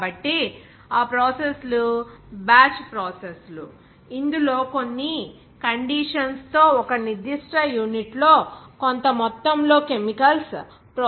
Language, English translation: Telugu, So, those processes are batch processes, wherein a certain amount of chemicals are to be processed in a particular unit under certain conditions